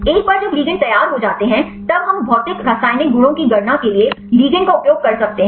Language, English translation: Hindi, Once the ligands are prepared; then we can use the ligand for calculating the physicochemical properties